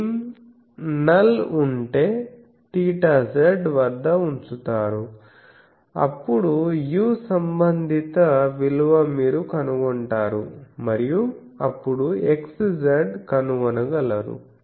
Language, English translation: Telugu, If the beam null is placed at theta z, then the corresponding value of u you can find and then x z you can find